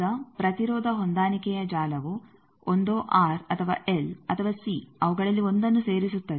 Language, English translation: Kannada, Now, the impedance matching network is either adding either an R or L or C any of them a single one